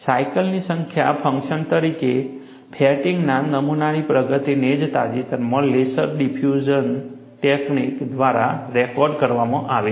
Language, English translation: Gujarati, The progress of fatigue damage as a function of number of cycles has been recorded recently by laser diffusion technique